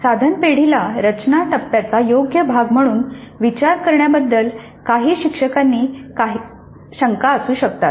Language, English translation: Marathi, Some instructors may have some reservations about considering the item bank as a proper part of the design phase